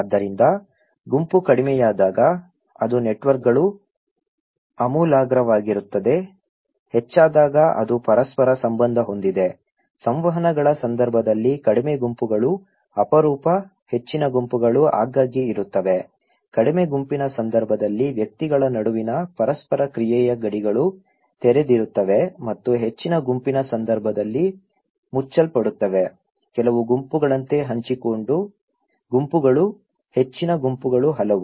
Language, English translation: Kannada, So, group when low, it is; the networks are radical, when high it is interconnected, in case of interactions low groups are rare, high groups are frequent, boundaries of interactions among individuals in case of low group is open and in case of high group is closed, shared groups like few, high groups are many